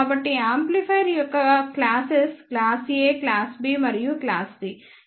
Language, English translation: Telugu, So, the classes of the amplifier is class A, class B, and class C